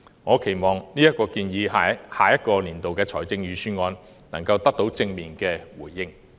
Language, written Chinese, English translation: Cantonese, 我期望這項建議在下年度的預算案能夠得到正面回應。, I hope this proposal will get a positive response in the Budget next year